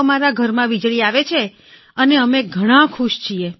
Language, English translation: Gujarati, We have electricity in our house and we are very happy